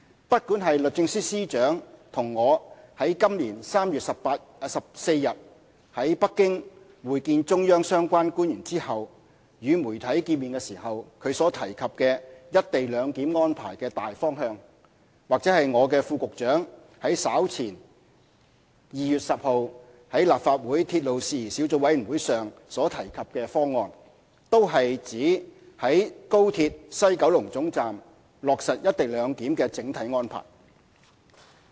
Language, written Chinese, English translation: Cantonese, 不管是律政司司長與我於今年3月14日在北京會見中央相關官員後，與傳媒見面時他所提及"一地兩檢"安排的"大方向"，或我的副局長於稍前2月10日在立法會鐵路事宜小組委員會會議上所提及的"方案"，均是指於高鐵西九龍總站落實"一地兩檢"的整體安排。, Whether it is the broad direction indicated by the Secretary for Justice to the media on 14 March after he and I met with relevant officials of the Central Authorities in Beijing or the proposal mentioned by my Under Secretary during his earlier attendance at a meeting of the Legislative Council Subcommittee on Matters Relating to Railways on 10 February both are referring to the overall arrangement in implementing co - location at WKT of XRL